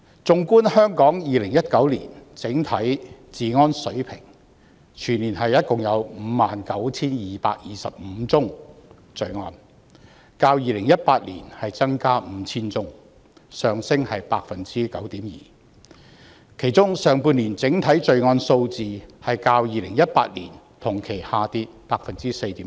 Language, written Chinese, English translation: Cantonese, 縱觀香港2019年整體治安水平，全年共有 59,225 宗罪案，較2018年增加 5,000 宗，上升 9.2%， 其中上半年整體罪案數字較2018年同期下跌 4.7%。, Regarding Hong Kongs overall level of law and order in 2019 there were a total of 59 225 crimes for the whole year representing an increase of 5 000 crimes or a surge of 9.2 % over 2018 whereas the overall crime figure in the first half of the year has dropped by 4.7 % from the same period in 2018